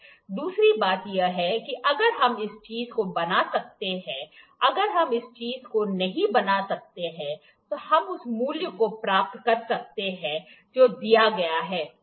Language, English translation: Hindi, Second thing is if we can make this thing, if we cannot make this thing, what closest value, we can attain to the value that is given, ok